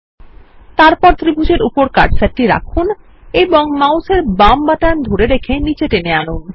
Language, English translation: Bengali, Then place the cursor on top of the triangle, hold the left mouse button and drag it down